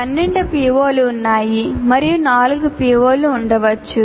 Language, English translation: Telugu, There are 12 POs and there can be 4 PSOs